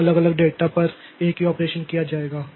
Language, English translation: Hindi, So the same operation will be done on the on the different data